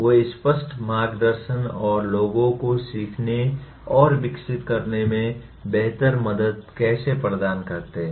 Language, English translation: Hindi, They offer explicit guidance and how to better help people to learn and develop